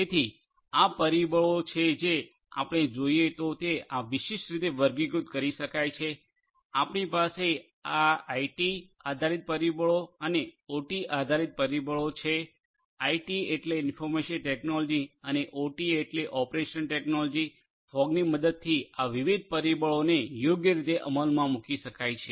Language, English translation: Gujarati, So, these factors if we look at can be classified in this particular manner, you have these IT based factors and the OT based factors, IT means information technology and OT means operational technology, these different factors with the help of fog can be implemented right